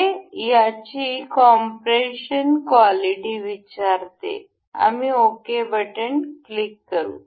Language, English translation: Marathi, This asks for this compression quality, we will ok